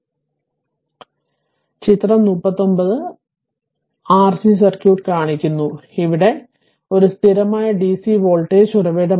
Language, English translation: Malayalam, So, figure 39 this is your figure 39 right is shows RC circuit, where V s is a constant DC voltage source